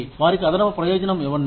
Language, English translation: Telugu, Give them an added benefit